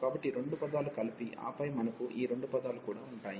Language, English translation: Telugu, So, these two terms will be combined, and then we will have these two terms as well